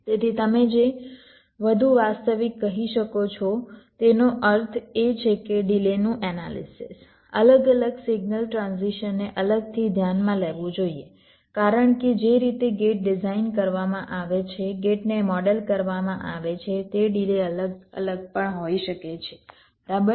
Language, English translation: Gujarati, so a more realistic ah, you can say, means analysis of the delays should consider the different signal transition separately, because the way gates are designed, gates are modeled, those delays can also be different, right